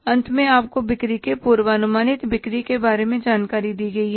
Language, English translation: Hindi, Lastly you are given the information about the say, a, forecasted sales